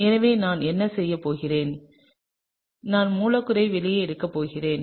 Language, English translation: Tamil, So, what I am going to do is I am just going to draw out the molecule